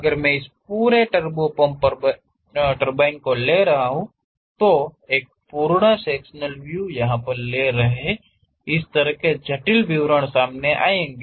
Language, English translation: Hindi, If I am taking that entire turbo pump turbine, taking a full sectional representation; the complicated details will come out in this way